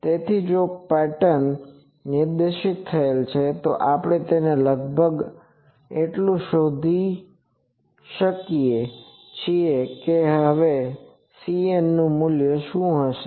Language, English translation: Gujarati, So, if the pattern is specified, we can find it approximately so, what will be now C n value